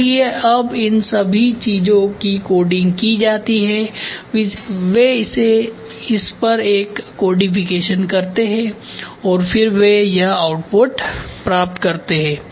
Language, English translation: Hindi, So, all these things are now coded this is done coding codification they do a codification on this and then they get to this output ok